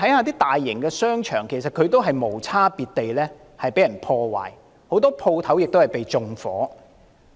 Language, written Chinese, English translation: Cantonese, 大型商場同樣遭到無差別破壞，很多商鋪被縱火。, Some large shopping malls have been subject to indiscriminate vandalism many shops have been set on fire